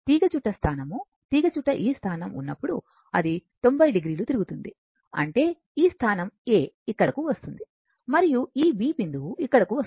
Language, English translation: Telugu, When the coil position when this position, it will rotate say 90 degree; that means, this position A will come here and this is your B and this point will come here